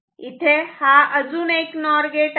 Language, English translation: Marathi, This is another NOR gate